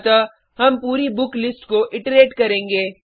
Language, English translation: Hindi, So we will iterate through the book list